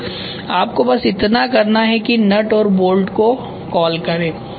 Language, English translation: Hindi, So, all you have to do is call that nut call that bolt